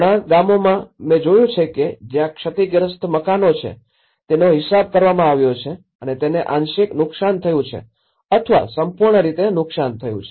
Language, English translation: Gujarati, In many of the villages, where I have seen I visited that these damaged houses yes, they have been accounted that this has been partially damaged or fully damaged